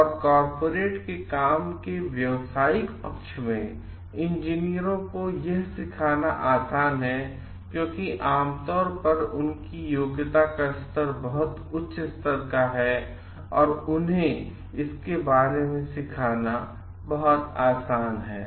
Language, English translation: Hindi, And it is easier to teach engineers the business side of corporate works, because of their generally it is taken their very high aptitude level and it is very easy to teach them about it